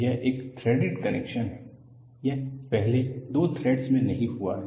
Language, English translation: Hindi, This is a threaded connection; it has not happened in the first two threads